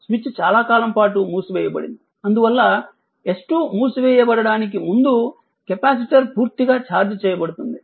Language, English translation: Telugu, Now, look this switch was closed for long time, hence before S 2 is closed the capacitor is fully charged